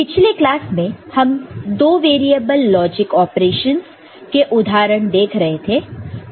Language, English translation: Hindi, So, the in the previous classes we are looking at two variable examples two variable logic operations right